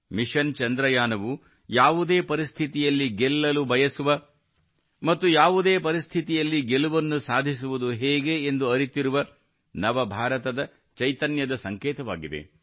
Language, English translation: Kannada, Mission Chandrayaan has become a symbol of the spirit of New India, which wants to ensure victory, and also knows how to win in any situation